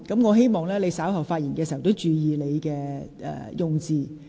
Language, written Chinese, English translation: Cantonese, 我希望你稍後發言時注意用詞。, Please be mindful of the choice of words in your speech later